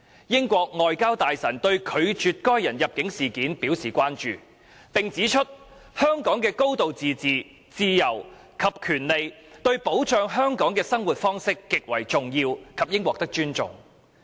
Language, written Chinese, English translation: Cantonese, 英國外交大臣對拒絕該人入境一事表示關注，並指出香港的高度自治、自由及權利對保障香港的生活方式極為重要及應獲得尊重。, The Secretary of State for Foreign Affairs of UK has expressed concern over the refusal of that persons entry and pointed out that Hong Kongs high degree of autonomy and its freedoms and rights are central to safeguarding Hong Kongs way of life and should be respected